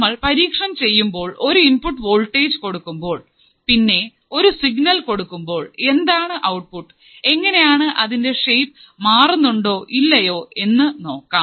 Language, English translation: Malayalam, When we perform the experiments, I will show you how you are applying the input voltage and which particular signal is applied and what is the signal at the output and whether the shape has changed or not